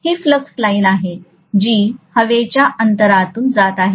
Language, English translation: Marathi, This is the flux line which is passing through the air gap